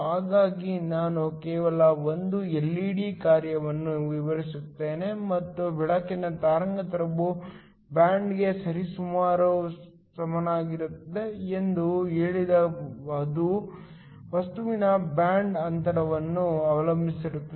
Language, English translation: Kannada, So, I just describe the working of an LED, and said that the wavelength of the light is approximately equal to the band depends upon the band gap of the material